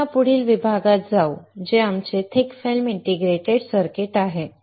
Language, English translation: Marathi, So, we move to this next section which is our thick film integrated circuit